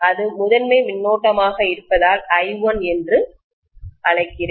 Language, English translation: Tamil, Let me call that as I1 because it is essentially the primary current